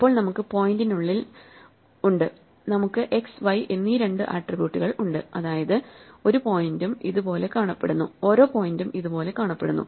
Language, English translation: Malayalam, And now we have within the point, we have these two attributes x and y, means every point looks like this